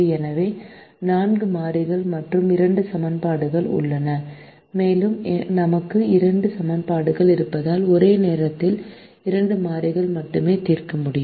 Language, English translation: Tamil, so there are four variables and two equations and since we have two equations, we can solve only for two variables at a time